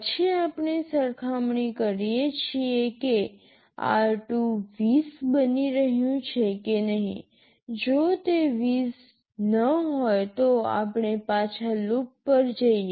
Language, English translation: Gujarati, Then we are comparing whether r2 is becoming 20 or not, if it is not 20 then we go back to loop